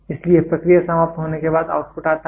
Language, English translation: Hindi, So, after the process is over so, the output comes